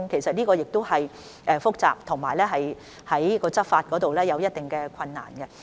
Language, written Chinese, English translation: Cantonese, 這個問題是複雜的，在執法上亦有一定困難。, This is a complex issue which also poses certain difficulties in law enforcement